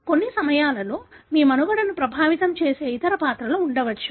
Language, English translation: Telugu, But at times there could be other characters which could affect your survival